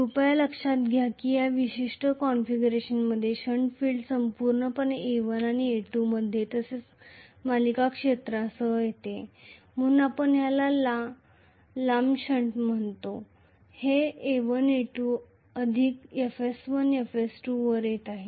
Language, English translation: Marathi, Please note in this particular configuration the shunt field is coming completely across A1 and A2 along with the series field as well so we call this as a long shunt, it is coming across A1 A2 plus FS1 FS2